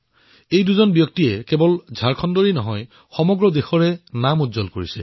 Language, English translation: Assamese, These two distinguished personalities brought glory &honour not just to Jharkhand, but the entire country